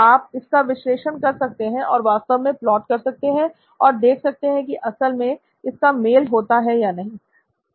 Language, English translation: Hindi, So you can be analytical about this and actually do a plot and see if it actually matches up